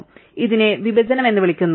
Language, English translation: Malayalam, So, this is called partitioning